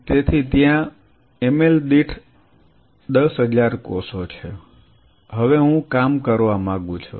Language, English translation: Gujarati, So, there are say 10000 cells per ml, now I want to play